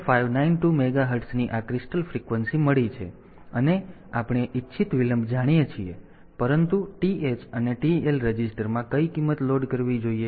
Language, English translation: Gujarati, 0592 megahertz and we know the desired delay, but what value should be loaded into TH and TL register